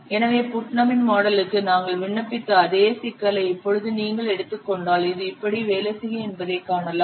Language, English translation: Tamil, So now if we will take the same problem that we have applied for Putnam's model you can see this will work like this